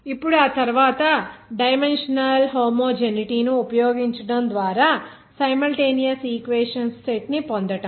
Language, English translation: Telugu, Now after that, by using dimensional homogeneity, obtain a set of simultaneous equations